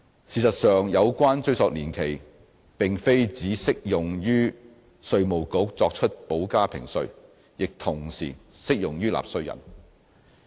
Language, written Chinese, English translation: Cantonese, 事實上，有關追溯年期並非只適用於稅務局作出補加評稅，亦同時適用於納稅人。, In fact the retrospective period applies not only to IRD in making additional assessments but also to the taxpayers